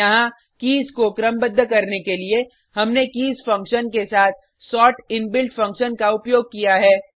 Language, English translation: Hindi, Here, to sort the keys we have used the sort inbuilt function, along with the keys function